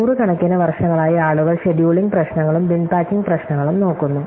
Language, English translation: Malayalam, People have been looking at scheduling problem and bin packing problems for very Õs of years